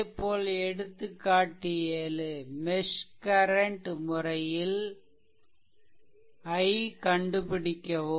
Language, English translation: Tamil, Similarly, for problem 7, the that example 7 find by using mesh current technique find i